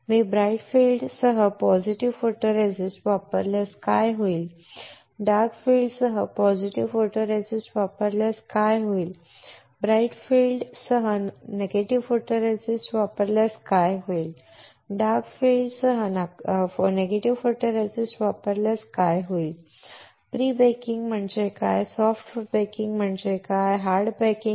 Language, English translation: Marathi, What if I use positive photoresist with bright field, what will happen if I use positive photoresist with dark field, what will happen, if I use negative photoresist with bright field and what will happen if I use negative photoresist with dark field What is prebaking, soft baking hard baking